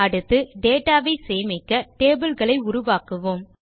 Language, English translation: Tamil, Next, let us create tables to store data